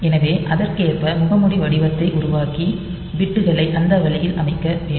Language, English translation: Tamil, So, making the mask pattern accordingly and setting the bits that way